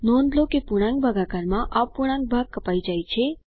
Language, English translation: Gujarati, Please note that in integer division the fractional part is truncated